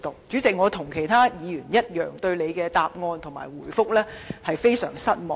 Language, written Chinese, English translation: Cantonese, 主席，我跟其他議員一樣，對局長的答覆非常失望。, President like many Members I am very disappointed with the Secretarys reply